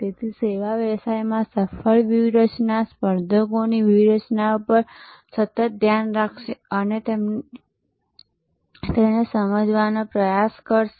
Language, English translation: Gujarati, So, successful strategies in the services businesses therefore, will constantly track and try to understand the competitors strategies